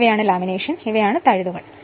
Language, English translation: Malayalam, These are the laminations and these are the slots right